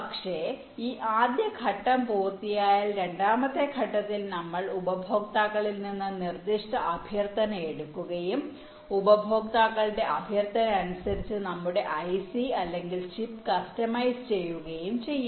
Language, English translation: Malayalam, but once this first step is done, in this second step we take this specific request from the customers and we customize our ic or chip according to the request by the customers